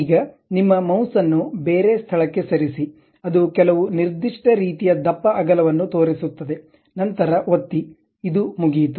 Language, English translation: Kannada, Now, just move your mouse to some other location it shows some kind of thickness width, then click, then this is done